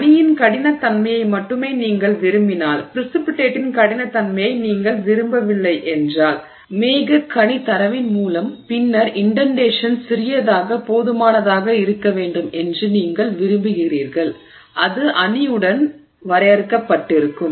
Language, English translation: Tamil, If you want the hardness of only the matrix and you don't want the hardness of the precipitate, you know, clouding that data, then you want the indentation to be small enough that it stays limited to the matrix